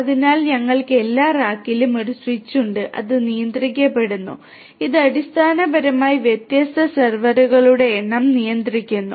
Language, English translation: Malayalam, So, we have every rack having a switch and is controlled it controls basically number of different servers